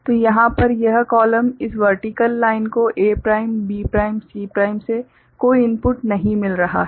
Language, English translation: Hindi, So, this column over here, this vertical line is not getting any input from A prime B prime C prime like